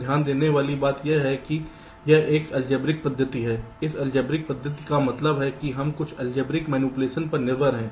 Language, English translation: Hindi, this algebraic method means we depend on some algebraic manipulation